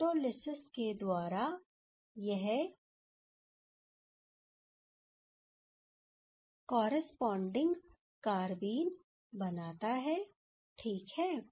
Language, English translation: Hindi, Under photolysis this can give the corresponding carbene ok